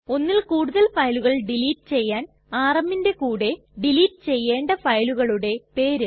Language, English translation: Malayalam, To delete multiple files we write rm and the name of the multiple files that we want to delete